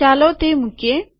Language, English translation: Gujarati, Lets put it